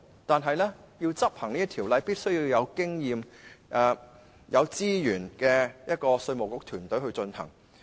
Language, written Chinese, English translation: Cantonese, 但是，要妥善執行條例，就必須有具經驗及有足夠資源的稅務局團隊。, However to properly enforce the Ordinance there must be an experienced team in IRD endowed with sufficient resources